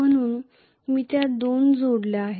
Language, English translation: Marathi, So I have added those two